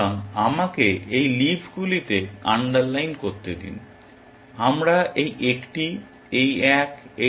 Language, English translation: Bengali, So, let me just underline these leaves here, we are looking at this one, this one, this one, and this one